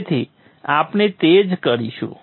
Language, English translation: Gujarati, So that's what we will do